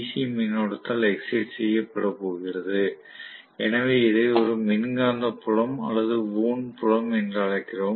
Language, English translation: Tamil, So, in which case, it is going to be excited by DC current, so we call this as an electromagnetic or wound field